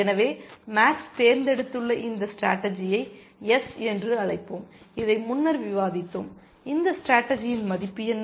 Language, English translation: Tamil, So, let us say, this strategy that max has chosen this strategy and let us call this S, and we have discussed this earlier, what is the value of this strategy